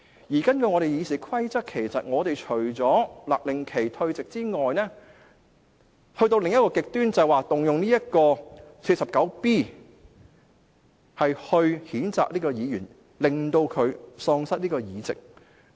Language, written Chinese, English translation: Cantonese, 根據本會的《議事規則》，除了勒令議員退席外，另一個極端便是動用《議事規則》第 49B 條來譴責這位議員，令他喪失議席。, Under RoP of this Council apart from ordering a Member to withdraw from the Council the other extreme is to invoke RoP 49B to censure this Member and disqualify him from office